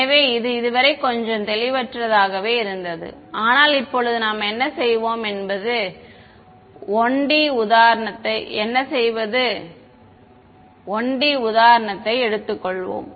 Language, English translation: Tamil, So, it has been a little vague so far, but now what we will do is drive home the point let us take a 1D example so